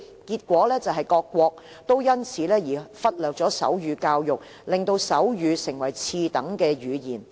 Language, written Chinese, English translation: Cantonese, 結果，各國因此而忽略手語教育，令手語成為次等語言。, Many countries have thus neglected sign language education turning sign language into a second - class language